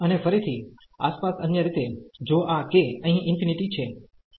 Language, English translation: Gujarati, And again in the other way around if this k is infinity here